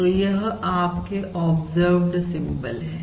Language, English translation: Hindi, this is your, this is the observed symbol